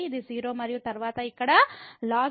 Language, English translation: Telugu, So, it is a 0 and then here ln infinity